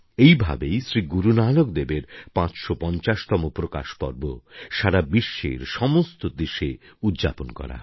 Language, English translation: Bengali, Guru Nanak Dev Ji's 550th Prakash Parv will be celebrated in a similar manner in all the countries of the world as well